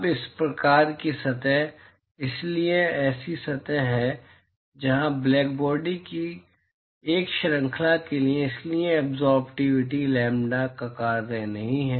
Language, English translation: Hindi, Now, so these kinds of surfaces, so there are surfaces where for a range of lambda, so the absorptivity is not a function of lambda